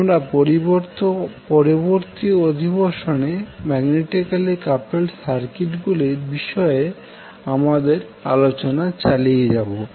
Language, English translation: Bengali, So in today’s session we will discuss about the magnetically coupled circuit